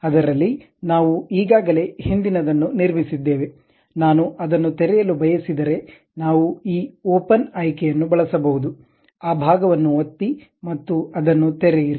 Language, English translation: Kannada, In that, we have constructed something like already a previous one, if I want to open that we can use this open option click that part and open it